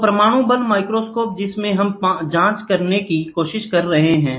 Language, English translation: Hindi, So, atomic force microscope what we are trying to say is, here is a probe